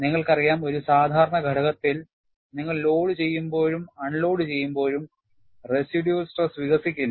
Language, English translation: Malayalam, You know, in a normal component, when you load and unload, you do not have residual stresses developed